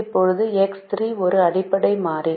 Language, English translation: Tamil, now x three is your basic variable